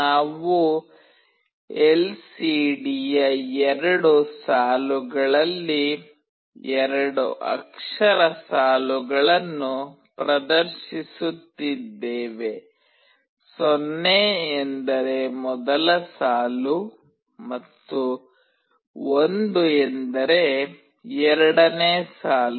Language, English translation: Kannada, We are displaying two character strings on two lines of the LCD, 0 means first line and 1 means second line